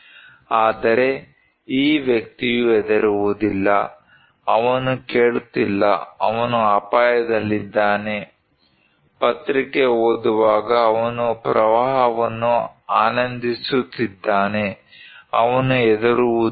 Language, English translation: Kannada, But this person does not care, he is not listening, he is at risk, he is enjoying the flood while reading newspaper, he does not care